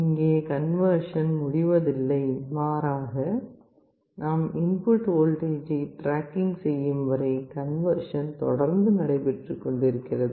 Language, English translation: Tamil, So, here there is nothing like conversion is complete we are continuously doing the conversion we are tracking the input voltage